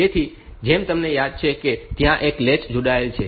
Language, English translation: Gujarati, So, the as you remember that there is a latch connected